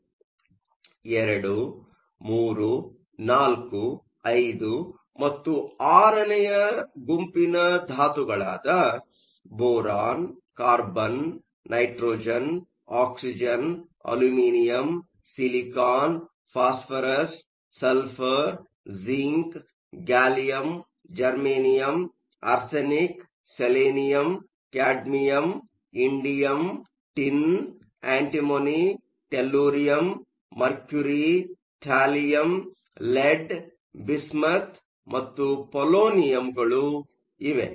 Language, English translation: Kannada, So, group II, III, IV, V and VI – Boron, Carbon, Nitrogen, Oxygen, Aluminum, Silicon, Phosphorous, Sulphur, Zinc, Gallium, Germanium, Arsenic Selenium, Cadmium, Indium, Tin, Antimony, Tellurium, Mercury, thallium, lead, bismuth and polonium